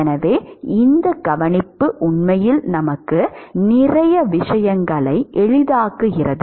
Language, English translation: Tamil, So, this observation actually simplifies a lot of things for us